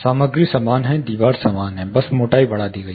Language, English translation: Hindi, The material is same, wall everything is same, just the thickness has increased